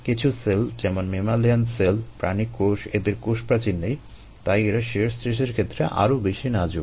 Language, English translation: Bengali, the mammalian cells and animal cells, do not have a cell wall and therefore they could be more susceptible to shear stress